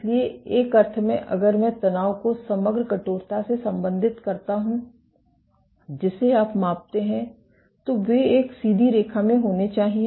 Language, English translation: Hindi, So, in a sense if I relate the tension to the overall stiffness that you measure, they should be a straight line